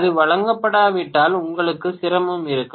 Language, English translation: Tamil, If it is not given then you are going to have difficulty